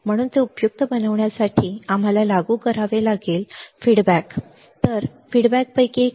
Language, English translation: Marathi, So, to make it useful we have to apply we have to apply feedback